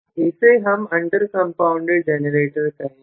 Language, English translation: Hindi, Then, we are calling that as under compounded generator